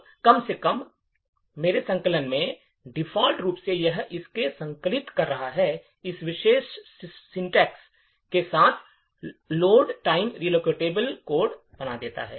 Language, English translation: Hindi, Now, by default at least in my compiler, yes in this compiler by default compiling it with this particular syntax will create a load time relocatable code